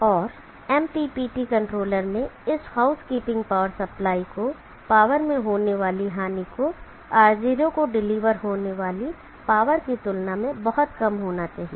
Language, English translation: Hindi, And the loss in power to this housekeeping power supply in the MPPT controller should be very low compare to the amount of power that is to be deliver to R0